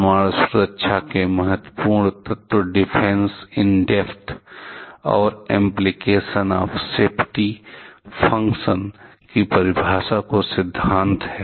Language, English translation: Hindi, Important elements of nuclear safety are the principle of Defense in depth and the definition of application of safety functions